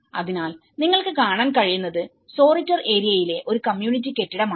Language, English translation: Malayalam, So, what you can see is a community building in Soritor area